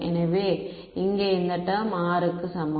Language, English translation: Tamil, So, this term over here is equal to R square